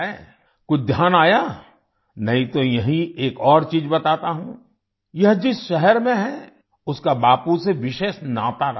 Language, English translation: Hindi, Let me tell you one more thing here the city in which it is located has a special connection with Bapu